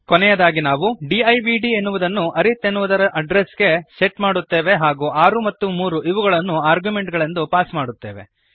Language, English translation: Kannada, Atlast we set divd to the address of arith And we pass 6 and 3 as arguments